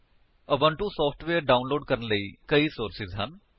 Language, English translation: Punjabi, There are several sources to download the Ubuntu software